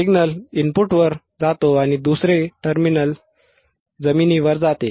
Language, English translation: Marathi, The signal goes to the input and another terminal goes to the ground another terminal goes to the ground